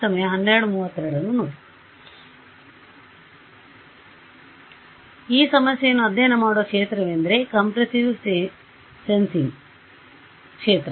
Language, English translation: Kannada, So, this is the field where these problems are studied is the field of compressive sensing